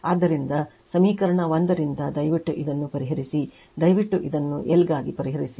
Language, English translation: Kannada, So, from equation one you please solve this one you please solve this one for your l